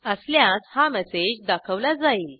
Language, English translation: Marathi, If yes, then it displays the message